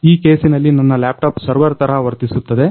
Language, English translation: Kannada, So, in this case, my laptop is going to act as a server